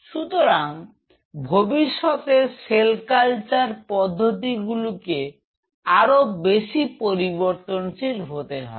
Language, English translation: Bengali, So, future cell culture technology will be very dynamic